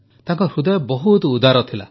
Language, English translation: Odia, She had a very generous heart